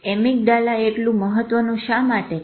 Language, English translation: Gujarati, Why is amygdala so important